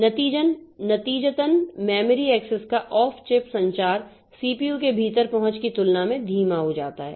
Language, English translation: Hindi, As a result, this off chief communication of the memory access becomes slow compared to the accesses within the CPU